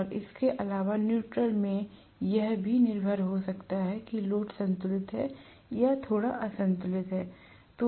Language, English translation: Hindi, And apart from that neutral might also have current depending upon whether the load is balanced or unbalanced slightly